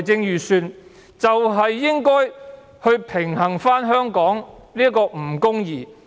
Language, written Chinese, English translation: Cantonese, 預算案應該平衡香港的不公義。, The Budget is supposed to address the injustice in Hong Kong